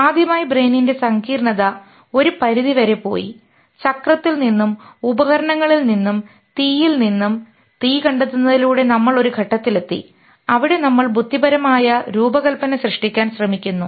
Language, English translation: Malayalam, First time the complexity of the brain has gone to extend that from the wheel and from the tools and from fire discovering fire we have reached a point where we are trying to create intelligent design